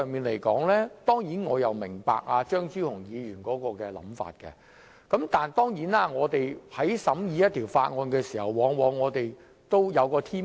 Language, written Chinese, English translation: Cantonese, 我當然明白張超雄議員的想法，但我們在審議法案時，往往好像有一個天秤。, I certainly understand what Dr Fernando CHEUNG thinks . But when we scrutinize a Bill there often seems to be a pair of scales